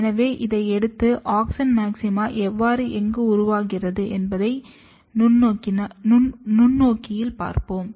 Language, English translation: Tamil, So, we will take this and see under the microscope how and where the auxin maxima is formed